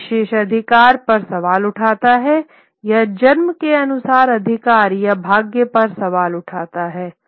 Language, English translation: Hindi, It questions privilege, it questions authority or fate according to birth